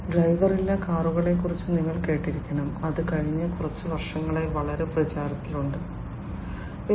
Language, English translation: Malayalam, Then you must have heard about the driverless cars, which has also become very popular in the last few years, the driverless cars